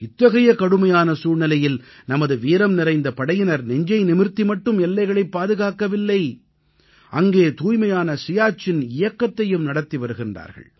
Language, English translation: Tamil, In such a difficult situation, our brave heart soldiers are not only protecting the borders of the country, but are also running a 'Swacch Siachen' campaign in that arena